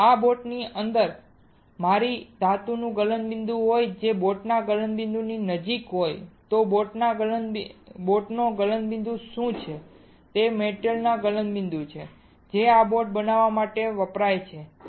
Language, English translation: Gujarati, If my metal right within this boat has a melting point which is close to the melting point of the boat what is melting point of the boat melting point of the metal that is used to form this boat